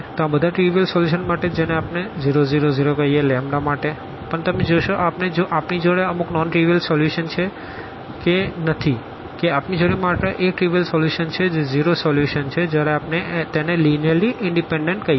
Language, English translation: Gujarati, So, naturally all the trivial solution what we call here is 0, 0, 0 for lambdas, but you will see whether we have some non trivial solution or not if you have only the trivial solution that is the zero solution then we call that they are linearly independent